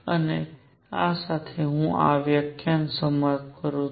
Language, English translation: Gujarati, And with this I conclude this lecture